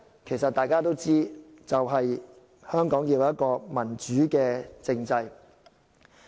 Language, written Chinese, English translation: Cantonese, 其實大家都知道，就是香港要有一個民主政制。, Actually we all know that a democratic political system is the key for Hong Kong